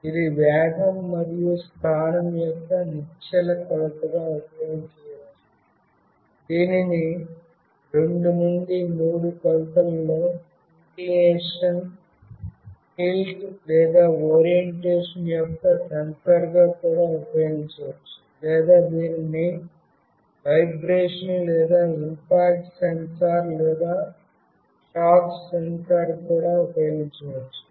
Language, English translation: Telugu, It can be used as an inertial measurement of velocity and position, it can be also used as a sensor of inclination, tilt, or orientation in 2 to 3 dimensions, or it can also used as a vibration or impact sensor, or shock sensor